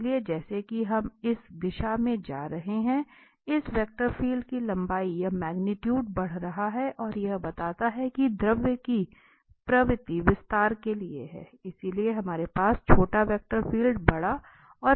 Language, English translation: Hindi, So, as we are going away in this direction this vector field, the length or the magnitude is increasing and that exactly tells that the tendency of the fluid is for the expansions, so we have small vector field big and then big and then the bigger one